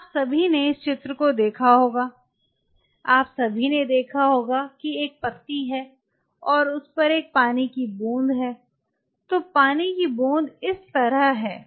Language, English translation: Hindi, So, all of you have seen this picture you must have all seen suppose there is a leaf and there is a water droplet on it so, water droplet is like this